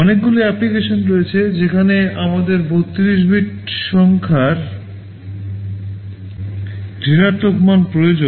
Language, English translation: Bengali, There are many applications where negative value of our 32 bit number is required